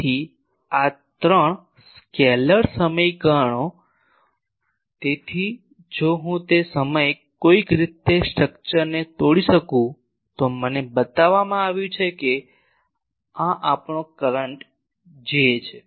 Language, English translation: Gujarati, So, these three scalar equations so if I can somehow break the on the structure that time I am shown that suppose this is our current J